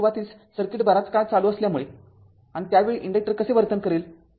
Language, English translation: Marathi, So, as as the circuit initially was closed for a long time and and at that time your how the inductor will behave right